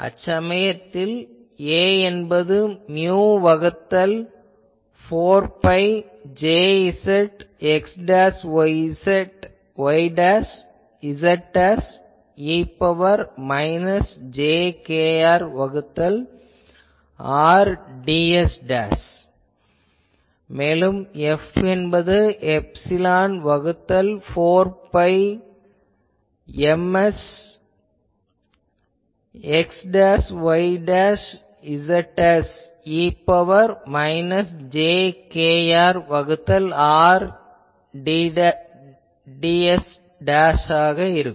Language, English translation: Tamil, So, that time my A will be mu by 4 pi J s x dashed y dashed z dashed e to the power minus jkr by R ds dash and F will be epsilon by 4 pi Ms x dashed y dashed z dashed e to the power minus jkr by R ds dashed